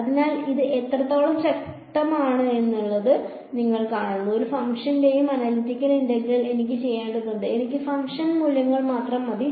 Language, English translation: Malayalam, So, you see how much of a power this is, I do not need to know the analytical integral of any function; I just need function values